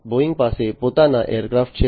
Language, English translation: Gujarati, Boeing has its own aircrafts